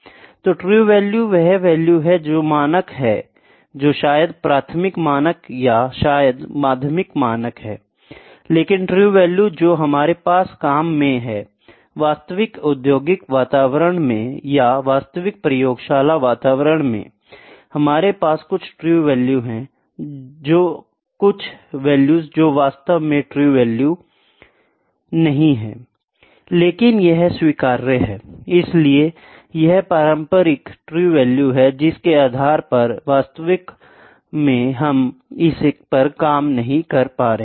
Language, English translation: Hindi, So, true value is the value those are the standards which are maybe primary standard or maybe secondary standards, but the conventional the true value that we have in the working; in the actual industrial environment or in the in the actual laboratory environment, we have some true value; some value that is not exactly true value, but that is acceptable; so, that is the conventional true value based on which actually we are not working on this